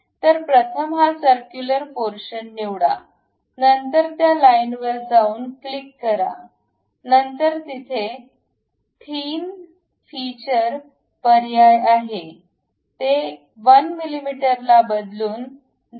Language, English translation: Marathi, So, first select this circular portion, then go to this line, click this one; then there is option like thin feature, change this 1 mm to 0